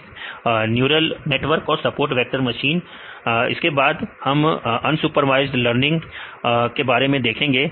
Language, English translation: Hindi, SVM Neural networks and support vector machines right now we can see the unsupervised learning